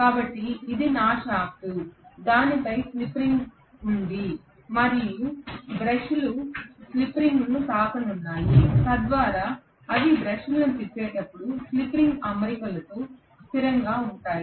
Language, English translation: Telugu, on that there is slip ring and the brushes are just touching the slip ring so as they rotate the brushes going to be held stationary with the spring arrangement